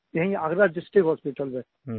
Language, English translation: Hindi, Both sons went to Agra District hospital